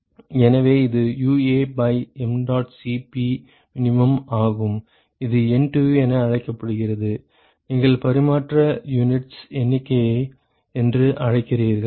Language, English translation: Tamil, So, this is UA by mdot Cp min is what is called as NTU you called the ‘number of transfer units’